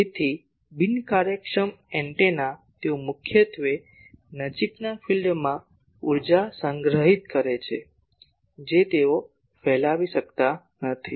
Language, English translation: Gujarati, So, inefficient antennas they mainly store the energy in the near field they cannot radiate